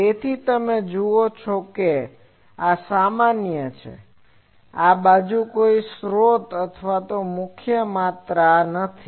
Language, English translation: Gujarati, So, you see this is general, this side there is no source quantity or prime quantities